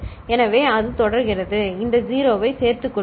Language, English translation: Tamil, So, that way it continues and you include these 0s also, ok